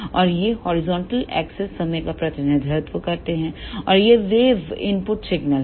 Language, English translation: Hindi, And this horizontal axis represent the time and this wave is input signal